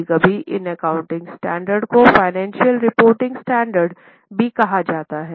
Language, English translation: Hindi, Sometimes these accounting standards are also called as financial reporting standards